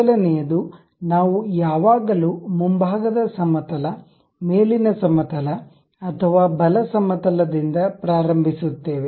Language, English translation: Kannada, The first one is we always begin either with front plane, top plane or right plane